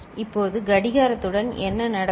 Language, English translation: Tamil, Now with the clock, what happens